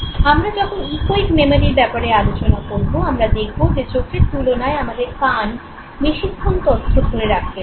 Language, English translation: Bengali, Remember when we will come to the echoic memory we would realize that ears are able to store information for a little longer period of time compared to I's